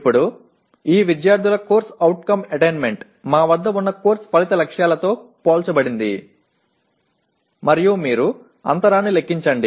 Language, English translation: Telugu, Now this students’ CO attainment is compared with course outcome targets that we have and you compute the gap